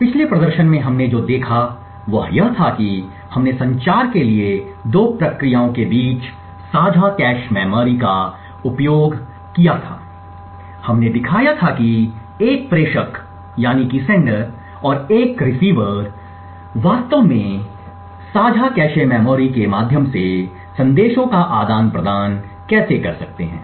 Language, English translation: Hindi, In the previous demonstration what we have seen was we had used the shared cache memory between 2 processes for communication we had shown how a sender and a receiver could actually exchange messages through the shared cache memory